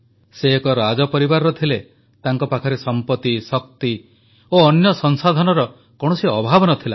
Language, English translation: Odia, She was from a royal family and had no dearth of wealth, power and other resources